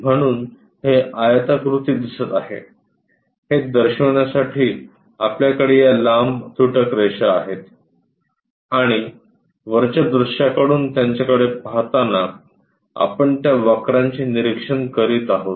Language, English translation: Marathi, So, it looks like a rectangle the whole lines to represent that we have these dashes and from top view when we are looking that we will be observing those curves